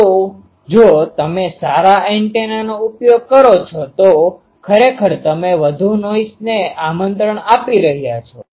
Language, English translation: Gujarati, So, if you use a good antenna then [laughter] actually you are inviting more noise